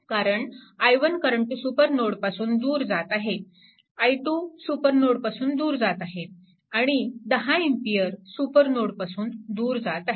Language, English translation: Marathi, So, 5 this this current is entering to the supernode, but current i 1 i 2 and 10 ampere all are leaving the supernode